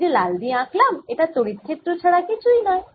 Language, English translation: Bengali, let me show this here in the red is nothing but the electric field